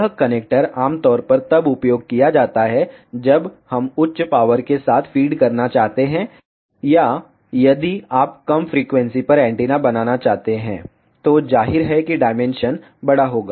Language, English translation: Hindi, This connector is generally used when we want to feed with high power or if you want to make the antennas at lower frequency, then obviously the dimension will be lie